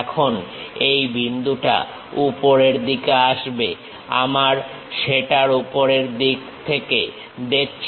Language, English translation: Bengali, Now this point comes at top side of the we are looking from top side of that